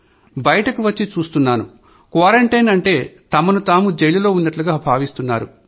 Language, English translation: Telugu, Yes, when I came out, I saw people feeling that being in quarantine is like being in a jail